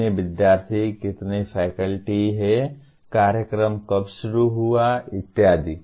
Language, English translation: Hindi, How many students, how many faculty are there, when did the program start and so on and on